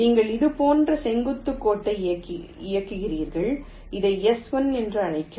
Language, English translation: Tamil, you run ah perpendicular line like this, call this s one